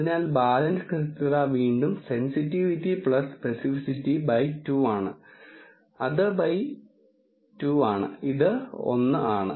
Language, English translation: Malayalam, So, the balance accuracy is again sensitivity plus speci city by 2 which is 2 by 2, it is it is 1